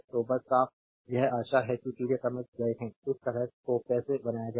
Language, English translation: Hindi, So, just clean it right hope things you have understood that how to make this thing right